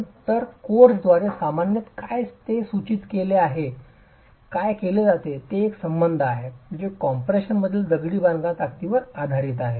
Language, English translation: Marathi, So, what is typically prescribed by the codes is a relationship that is based on the strength of the masonry in compression